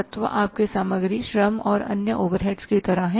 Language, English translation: Hindi, Elements are like your material labor and other overheads